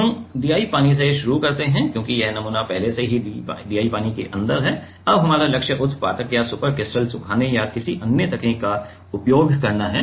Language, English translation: Hindi, We start with DI water because; it was the sample was already inside DI water now our goal is to use sublimation or super critical drying or some other technique